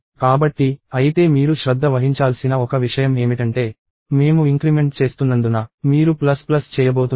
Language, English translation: Telugu, So, however one thing you have to pay attention to is since we are doing increment, you are going to do a plus plus